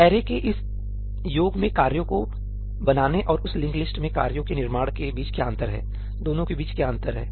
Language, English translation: Hindi, What is the difference between this array creating tasks in this summation of array and the creation of tasks in that linked list what is the difference between the two